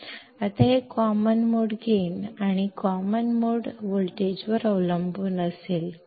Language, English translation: Kannada, Now it will depend on the common mode gain and the common mode voltage